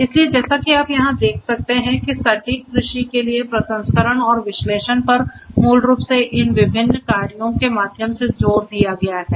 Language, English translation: Hindi, So, as you can see over here processing and analytics for precision agriculture is basically emphasized through these different works